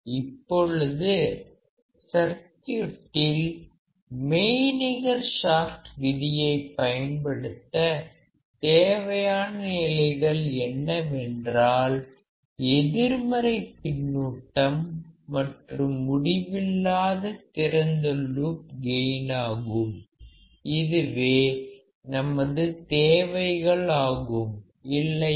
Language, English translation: Tamil, Now, the condition required to apply virtual short in the circuit is the negative feedback and infinite open loop gain; these are the requirements is not it